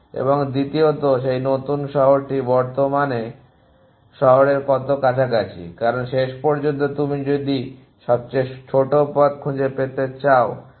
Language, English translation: Bengali, And secondly how close that new city is to the current city, because eventually you want to find shortest pass